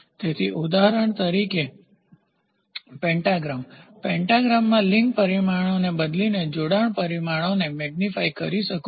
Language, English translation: Gujarati, So, example like a pentagram in a pentagram the dimensions the linked by changing the link dimensions you can magnify the displacement